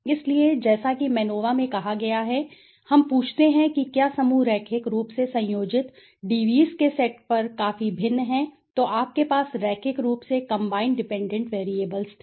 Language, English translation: Hindi, So, as it says in MANOVA we ask if groups are significantly different on a set of linearly combined DVs, so you had linearly combined dependent variables